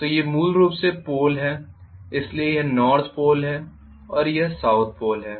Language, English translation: Hindi, So these are the poles the basically, so this is the North Pole and this is the South Pole